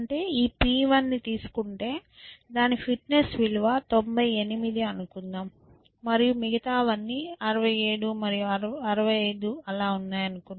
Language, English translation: Telugu, This P 1, let us say its fitness value is 98 or something like that, and everything else let us say began with 67 and 65 and so and so forth